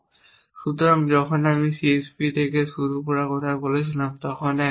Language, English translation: Bengali, So, when I was talking about beginning on CSP one of the thing